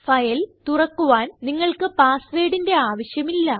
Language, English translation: Malayalam, You do not require a password to open the file